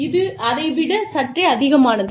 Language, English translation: Tamil, This is a slightly more